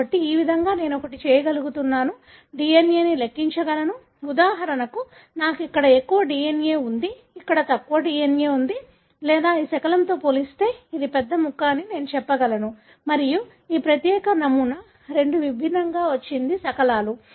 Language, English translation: Telugu, So, this is the way I am able to one, quantify the DNA, for example I have more DNA here, lesser DNA here or I am able to tell this is larger fragment as compared to this fragment and this particular sample has got two different fragments